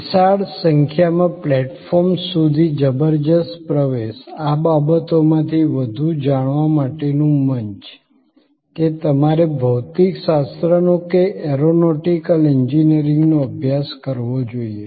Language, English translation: Gujarati, Tremendous access to huge number of platforms, forum to know more on more out of these things, that whether you should study physics or you should study aeronautical engineering